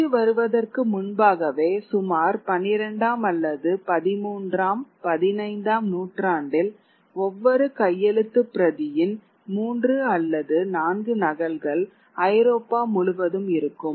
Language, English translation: Tamil, So, before the coming of print really by about the 12th or 13th century, even the 15th century, they would at most be three or four copies of each manuscript or purported manuscript across Europe